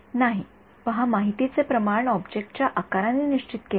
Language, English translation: Marathi, No, see the amount of information is fixed by the size of the object